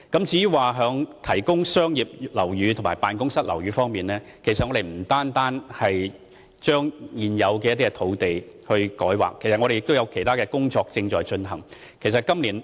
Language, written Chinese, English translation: Cantonese, 至於提供商業樓宇和辦公室樓宇方面，我們不單把現有的土地進行改劃，也正在進行其他工作。, Regarding the supply of commercial buildings and office buildings we strive to conduct other work apart from rezoning existing sites